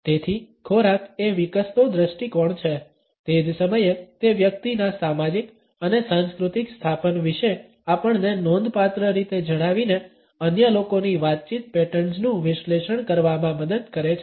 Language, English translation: Gujarati, So, food is an increasing lens at the same time it helps us to analyse the communication patterns of the other people by telling us significantly about the social and cultural setups of the individual